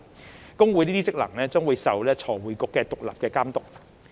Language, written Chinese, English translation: Cantonese, 會計師公會這些職能將受財匯局獨立監督。, These functions of HKICPA will be independently overseen by FRC